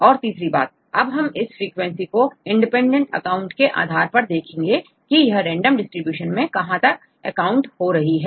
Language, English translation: Hindi, Then the third one, we can also use this frequency based on independent counts how far you can get these counts in random distribution